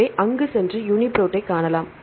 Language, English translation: Tamil, So, go to there and we can see the UniProt